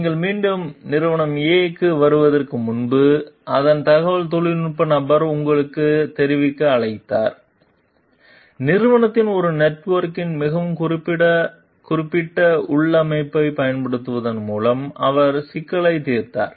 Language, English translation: Tamil, Before you got back to company A, its IT person called to inform you that, he solved the issue by using a very specific configuration of company A network